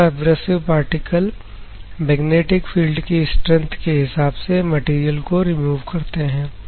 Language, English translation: Hindi, These abrasive particles will remove the material depend on the magnetic field strength, ok